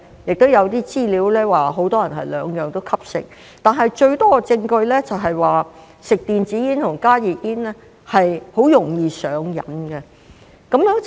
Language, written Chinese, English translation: Cantonese, 亦有資料顯示很多人是兩者均吸食，但最多證據指吸食電子煙和加熱煙是很容易上癮的。, There is data indicating that many people smoke both but most evidence points to the fact that both are highly addictive